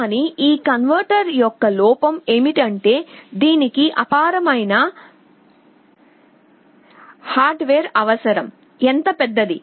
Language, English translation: Telugu, But the drawback of this converter is that it requires enormous amount of hardware, how large